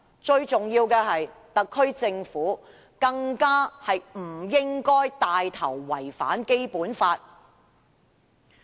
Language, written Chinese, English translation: Cantonese, 最重要的是，特區政府更不應該牽頭違反《基本法》。, Most importantly the SAR Government should not take the lead to contravene the Basic Law